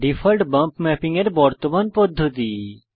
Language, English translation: Bengali, Default is the current method of bump mapping